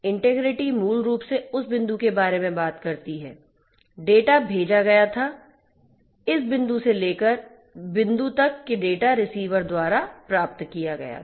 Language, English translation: Hindi, Integrity basically talks about that from the point; the data was sent, till the point that the data was received by the receiver